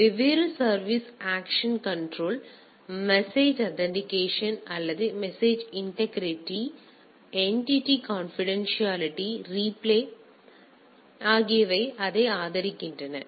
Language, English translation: Tamil, So, there are different services access control, message authentication or message integrity, entity authenticity confidentiality, replay attack protection these are supported by this